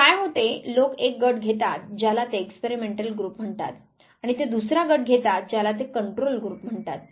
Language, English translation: Marathi, So, what happens people take one group what they call as experimental group, and they take the second group what they call as the control group